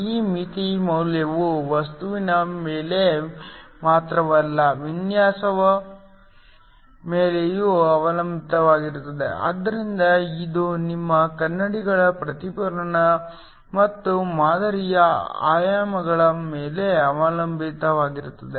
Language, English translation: Kannada, This threshold value not only depends upon the material with also depends upon the design, so it depends upon alpha the reflectivity of your mirrors and the also the dimensions of the sample